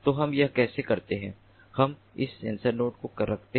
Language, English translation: Hindi, so how do we place the sensor nodes